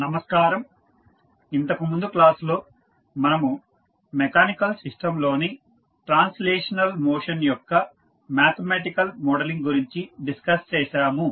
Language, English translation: Telugu, In last class we discussed about the mathematical modelling of translational motion of mechanical system